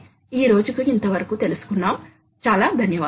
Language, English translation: Telugu, So, that is all for today, thank you very much